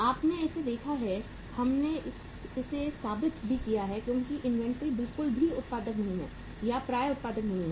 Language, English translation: Hindi, You have seen it, we have proven it also as inventory is not at all productive or the receivables are not at all productive